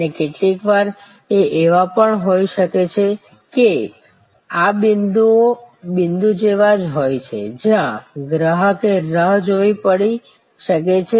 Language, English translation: Gujarati, And sometimes these are also this points are the same as the point, where the customer may have to wait